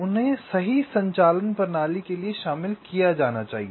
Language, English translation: Hindi, they have to be incorporated to have a correct operational system